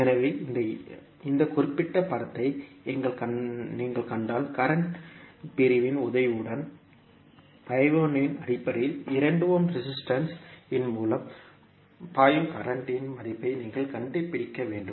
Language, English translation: Tamil, So, if you see this particular figure you need to find out the value of current flowing through 2 ohm resistance in terms of I 1, with the help of current division